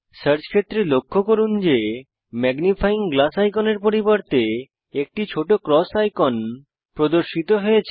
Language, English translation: Bengali, Instead of the Magnifying glass icon, a small cross icon is displayed